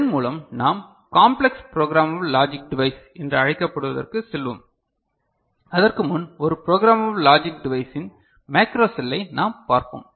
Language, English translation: Tamil, So, with this we go to what is called complex programmable logic device, so before that we just take a look at what we consider a macro cell of a programmable logic device ok